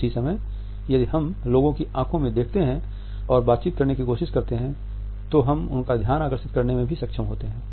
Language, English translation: Hindi, At the same time if we look into the eyes of the people and try to hold a dialogue, then we are also able to hold their attention